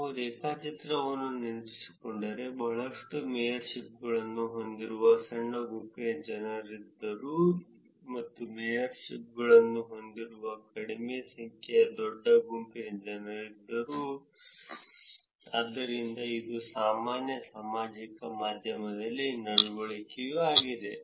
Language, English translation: Kannada, So, if you remember the graph there were small set of people who had a lot of mayorships, and a large set of people who had less number of mayorships, so that is the kind of general social media behavior also